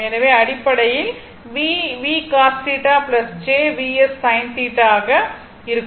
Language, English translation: Tamil, So, basically v will be your v your v cos theta plus j v sin theta, right